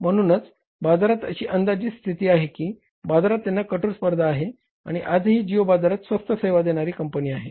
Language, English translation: Marathi, So in anticipation to that, they stayed in the market, they are striving the competition in the market and geo is still the cheapest, means service provider in the market